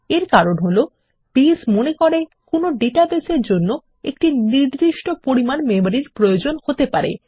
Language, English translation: Bengali, This is because, Base anticipates a certain amount of memory that the database may need